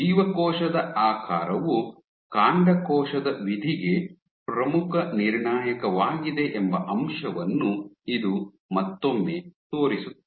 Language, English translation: Kannada, This once again demonstrates the fact that cell shape is a key determinant of stem cell fate